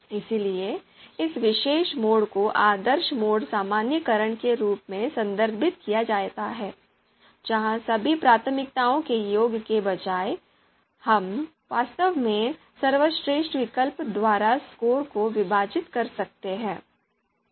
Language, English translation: Hindi, So this particular mode is referred as ideal mode normalization where instead of the you know sum of all the priorities, we can actually divide the score by the the best alternative